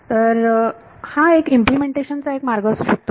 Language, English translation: Marathi, So, this is this is one way of implementing it